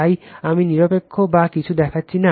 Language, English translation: Bengali, So, I am not showing a neutral or anything